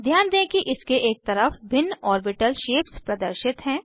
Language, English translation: Hindi, Notice the different orbital shapes displayed alongside